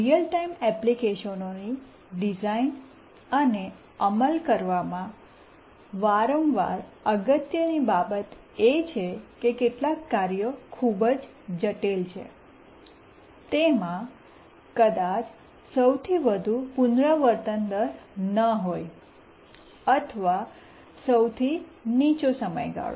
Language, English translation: Gujarati, One important thing that occurs frequently in designing and implementing real time applications is that some of the tasks which are very critical tasks may not have the highest repetition rate or the lowest period